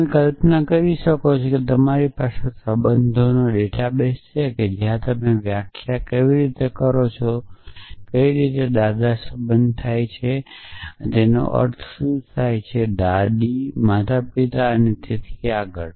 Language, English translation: Gujarati, So, you could imagine that you have billing a database of relationships where you are defining how what is relationship means what is grandfather abouts a grandmother abouts a grandparent and so on and so forth